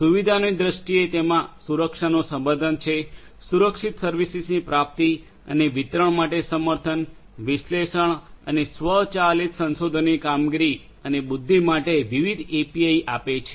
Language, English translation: Gujarati, In terms of the features it has security support; support for secured services, procurement and distribution provides various APIs for analysis and automated exploration of performance and intelligence